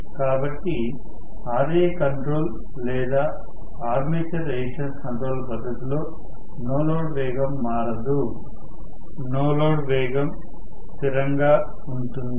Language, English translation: Telugu, So, for Ra control for Ra control or armature resistance control no load speed will change no load speed was a constant, right